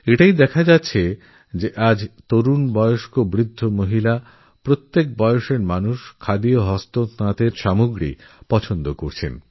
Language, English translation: Bengali, One can clearly see that today, the youth, the elderly, women, in fact every age group is taking to Khadi & handloom